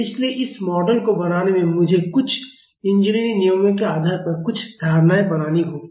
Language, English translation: Hindi, So, in making this model I have to make some assumptions based on some engineering judgment